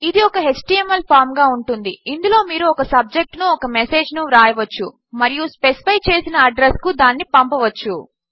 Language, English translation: Telugu, This will be in an HTML form in which you can write a subject and a message and send to a specified address